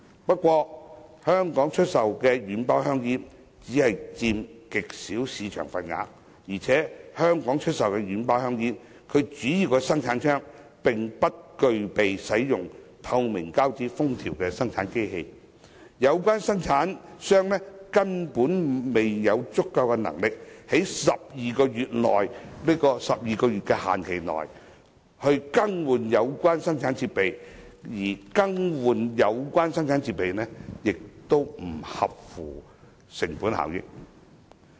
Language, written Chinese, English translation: Cantonese, 不過，軟包香煙在香港只佔極小的市場份額，而且香港出售的軟包香煙的主要生產商，並不具備使用透明膠紙封條的生產機器，有關生產商根本沒有足夠的能力，在12個月的寬限期內更換有關生產設備，而更換有關生產設備亦不合乎成本效益。, However as soft pack cigarettes only take up an extremely small market share and the main manufacturer of soft pack cigarettes in Hong Kong does not possess production machinery to use transparent seals the relevant manufacturer is not capable of replacing the equipment within the 12 - month grace period and such a replacement will not be cost - effective